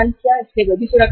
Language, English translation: Hindi, So they are also safe